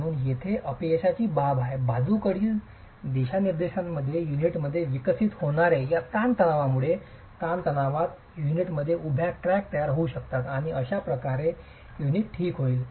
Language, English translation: Marathi, So, as far as failure is concerned, these tensile stresses developing in the unit, in the lateral direction will actually lead to formation of vertical cracks in the unit and that's how the unit will fail